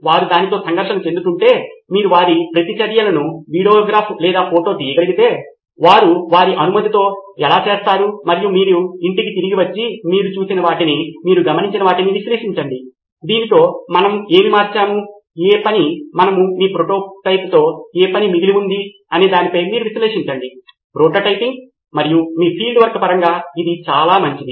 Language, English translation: Telugu, If they would interact with that and then you observe and find out and preferably if you can even videograph or photograph their reactions how they do it with their permission of course and you come back home and analyze what you have seen, what you have observed and then take your call on what do we change in this, what work and what did not work with your prototype That is probably better ideal to in terms of prototyping and your field work